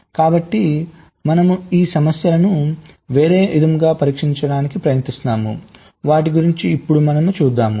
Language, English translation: Telugu, so we try to solve these problem in a different way